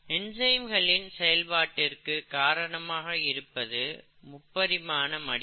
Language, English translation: Tamil, The way the enzyme action comes in we said was because of the three dimensional folding